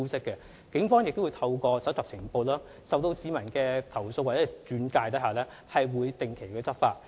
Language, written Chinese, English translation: Cantonese, 警方亦會透過收集情報，在市民投訴或轉介後展開調查及跟進行動。, Also the Police will gather intelligence and conduct investigation and take follow - up action upon receipt of complaints or referrals from members of the public